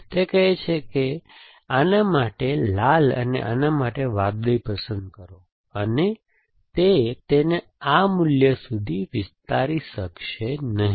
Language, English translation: Gujarati, It do that it will say that you choose red for this and blue for this and it cannot extend it to the value